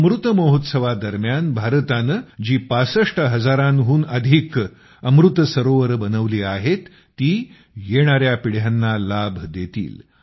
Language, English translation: Marathi, The more than 65 thousand 'AmritSarovars' that India has developed during the 'AmritMahotsav' will benefit forthcoming generations